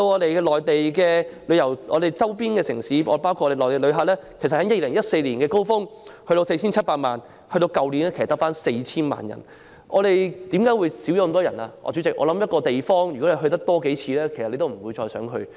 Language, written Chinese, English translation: Cantonese, 可是，來自周邊城市包括內地的旅客，在2014年的高峰期有 4,700 萬人次，但去年卻只有 4,000 萬人次。主席，任何地方去了數次，自然不會想再去。, I have also been told by the trade that last years visitor arrivals published by the Government were about 20 million of which 5 million about a quarter of the total were Mainland tour group visitors